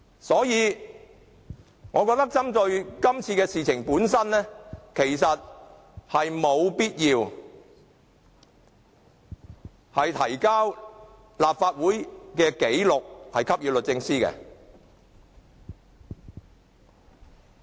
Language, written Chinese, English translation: Cantonese, 所以，我覺得就今次事件，沒有必要向律政司提交立法會紀錄。, Therefore with regard to the incident in question I do not think it is necessary to provide the proceedings and minutes of this Council to DoJ